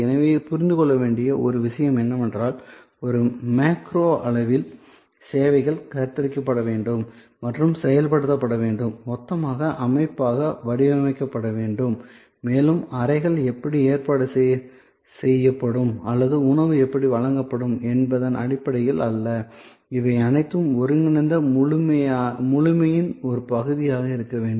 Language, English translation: Tamil, So, in a way what is important to understand here is, at a macro level services must be conceived and must be executed, must be designed as a total system and not ever in terms of just how the rooms will be arranged or how food will be delivered, it has to be all together part of composite whole